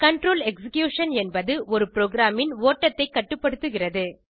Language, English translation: Tamil, Control execution is controlling the flow of a program